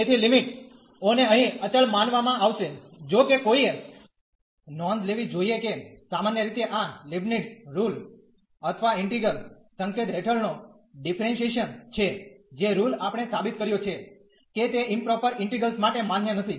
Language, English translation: Gujarati, So, the limits will be treated as a constant here though one should note that in general this Leibnitz rule or the differentiation under integral sign, which the rule we have proved that is not valid for improper integrals